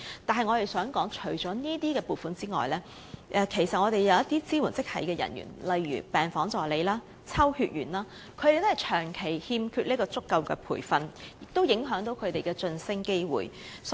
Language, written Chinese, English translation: Cantonese, 但我們想說的是，除了這些撥款外，其實一些支援職系人員如病房助理、抽血員亦長期缺乏足夠培訓，影響其晉升機會。, What we wish to say is that such a provision notwithstanding there is also a perennial lack of adequate training for such support staff as ward assistants and phlebotomists which affects their promotion prospects